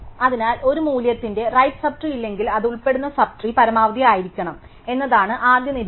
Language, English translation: Malayalam, So, the first observation is that if a value has no right sub tree, then it must be the maximum of the sub tree to which it belongs